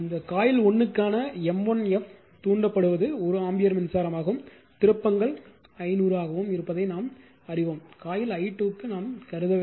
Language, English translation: Tamil, And we know that m 1 F for your for that you coil 1 is excited by 1 ampere current and it is turns is 500 we are not considering coil i 2 right just 1